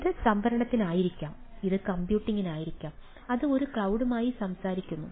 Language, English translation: Malayalam, so it may be for storage, it may be for computing, ah, it talk to a cloud